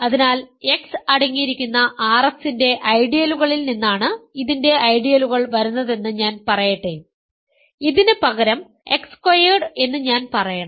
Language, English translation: Malayalam, So, let me say ideals of this come from ideals of R X that contain X right rather I should say X squared